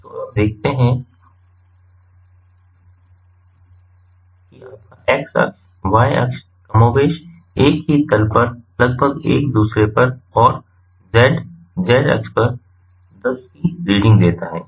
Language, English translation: Hindi, so you see your x axis, y axis are more or less on the same plane, nearby each other, and the z z axis gives a reading of ten